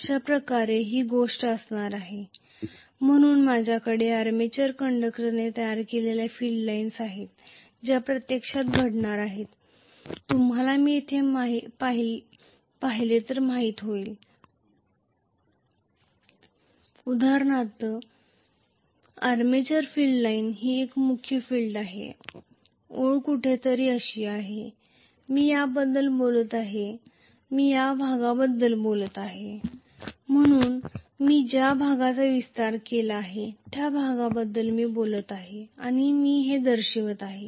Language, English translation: Marathi, this is how those thing are going to be, so I am having the field lines created by the armature conductors which are actually going to be you know here if I look at it, for example, the armature field line is like this and main field line is somewhere here like this, this I am talking about, I am talking about this portion, so I am talking about this portion which I have enlarge and I am showing it like this